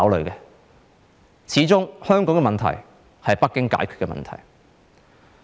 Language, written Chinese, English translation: Cantonese, 由始至終，香港的問題是由北京解決的問題。, From day one Beijing has been the one to tackle the problems of Hong Kong